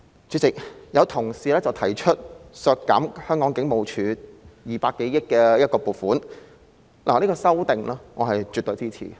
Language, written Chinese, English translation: Cantonese, 主席，有同事提出修正案，要求削減香港警務處200多億元的撥款，我絕對支持。, Chairman some Honourable colleagues have proposed amendments to request a reduction of the funding of some 20 billion of the Hong Kong Police Force HKPF and I absolutely lend my support to those Members